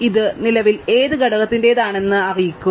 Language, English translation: Malayalam, Let me know which component it belongs to currently